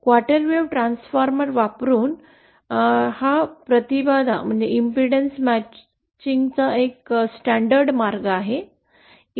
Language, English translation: Marathi, This is this is a standard way to realize this impedance matching using a quarter wave transformer